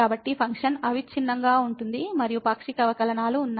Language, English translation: Telugu, So, the function is continuous and the partial derivatives exist